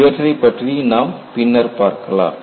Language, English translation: Tamil, We will see that later